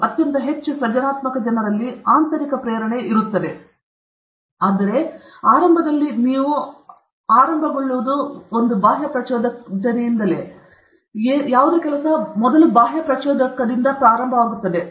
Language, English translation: Kannada, In very highly creative people b is not so important as a, but initially you will start with, initially you will start with extrinsic motivator